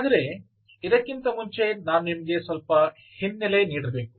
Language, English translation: Kannada, so let me give you a little bit of a background